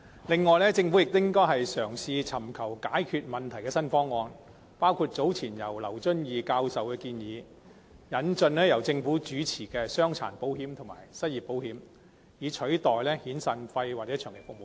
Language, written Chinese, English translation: Cantonese, 此外，政府亦應該嘗試尋求解決問題的新方案，其中包括劉遵義教授早前提出的建議，即引進由政府提供的傷殘保險和失業保險，以取代遣散費和長期服務金。, Moreover the Government should also try to seek new solutions to the problem including the proposal made by Prof Lawrence LAU earlier that is the introduction of disability insurance and unemployment insurance by the Government in place of severance and long service payments